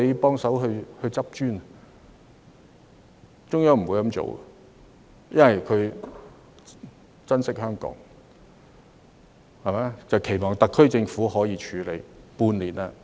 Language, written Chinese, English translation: Cantonese, 但是，中央不會這樣做，因為它珍惜香港，期望特區政府可自行處理。, However the Central Peoples Government does not do so because it cherishes Hong Kong and hopes that the HKSAR Government can handle the situation on its own